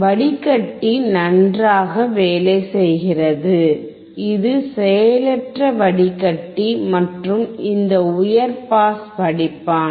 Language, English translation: Tamil, Filter is working fine, this is passive filter and these high pass filter